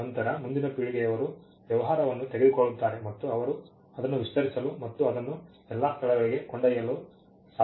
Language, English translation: Kannada, Then the next generation takes the business and they are able to broaden it and take it to all places